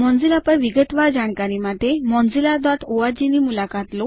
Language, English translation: Gujarati, Visit mozilla.org for detailed information on Mozilla